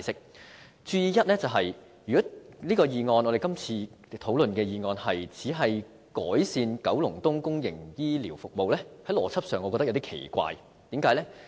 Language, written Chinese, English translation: Cantonese, 要注意的第一點是如果今次討論的議案只是改善九龍東的公營醫療服務，我認為邏輯上有點奇怪，為甚麼呢？, The first point to note is that I find it a bit strange in terms of logic if the motion discussed this time around only seeks to improve public healthcare services in Kowloon East . Why?